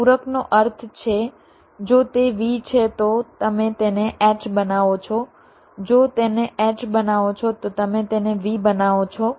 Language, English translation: Gujarati, complement means if it is a v, you make it h, if it h, you make it v